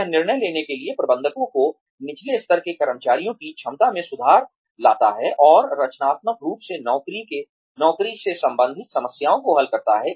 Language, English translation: Hindi, It improves, the ability of managers, and lower level employees, to make decisions, and solve job related problems, constructively